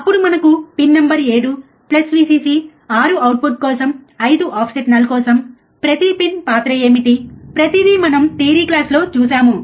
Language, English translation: Telugu, Then we have pin number 7 4 plus Vcc 6 for output 5 for offset null, this everything we have seen in the theory class, right what is the role of each pin